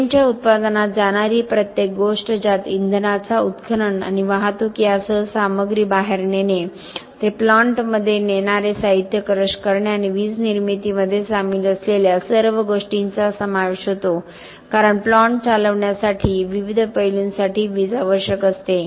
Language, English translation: Marathi, Everything that goes into the production of the cement including the extraction and transportation of the fuel taking the material out, crushing the material transporting it to the plant and everything that is involved in production of electricity because electricity is needed for different aspects for running the plant for turning the kiln for the grinding and crushing and so on